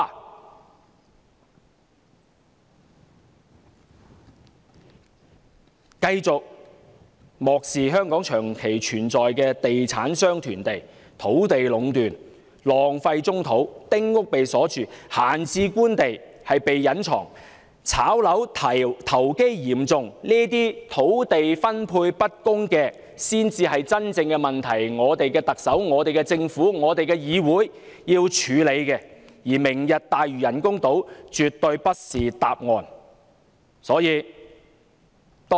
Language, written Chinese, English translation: Cantonese, 他們繼續漠視香港長期存在的問題，就是地產商囤地、土地壟斷、浪費棕地、丁屋被鎖住、閒置官地被隱藏、"炒樓"投機嚴重，以致土地分配不均，這才是真正的問題所在，才是我們的特首、我們的政府，我們的議會要處理的問題，而"明日大嶼"人工島絕對不是答案。, They continue to turn a blind eye to the long - standing problems in Hong Kong the problems of land hoarding by real estate developers monopoly on land brownfields left idle small house sites locked idle government land being hidden acute speculation of property and disparity in land distribution . Yet these are the real problems the Chief Executive the Government and the legislature should tackle . Hence the Lantau Tomorrow programme is not the solution by any means